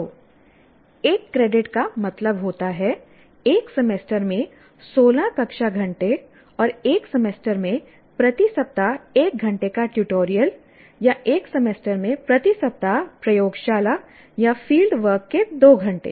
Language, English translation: Hindi, So, one credit would mean 16 classroom hours over a semester maximum and one hour of tutorial per week over a semester or two hours of laboratory or field work per week over a semester